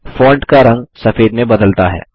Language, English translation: Hindi, The font color changes to white